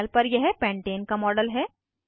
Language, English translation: Hindi, This is a model of pentane on the panel